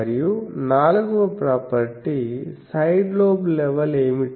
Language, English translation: Telugu, And the 4th property is; what is the side lobe level